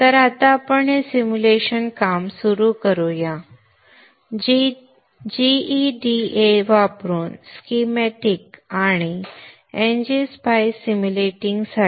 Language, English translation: Marathi, So let us now begin the simulation work using GEDA for generating the schematics and NGPI for simulating